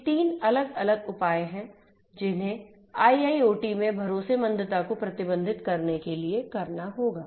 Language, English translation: Hindi, These are the three different measures that will have to be taken in order to manage trustworthiness in IIoT